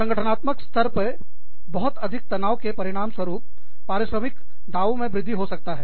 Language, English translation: Hindi, At the organizational level, too much of stress, could result in, increased compensation claims